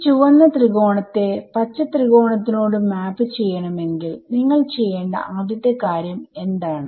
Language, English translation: Malayalam, So, if I want you to map this red triangle to green triangle what is the first thing you would do